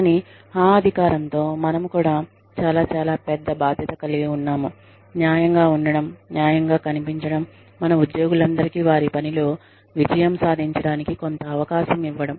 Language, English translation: Telugu, But, with that power, we also shoulder a very, very, big responsibility, of being fair, of appearing to be fair, to all our employees, of giving them, some enough chance to succeed in their work